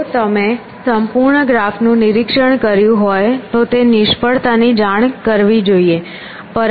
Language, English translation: Gujarati, Then you have inspected the complete graph, if you inspected the complete graph it should report failure